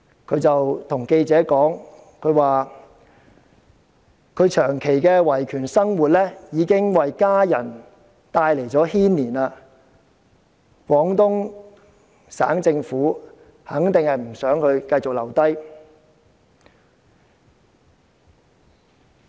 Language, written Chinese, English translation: Cantonese, 他跟記者說，長期的維權生活已牽連家人，廣東省政府肯定不想他繼續留下。, He told reporters that his prolonged rights defending activities had brought trouble to his family and the Guangdong Provincial Government certainly did not want him to stay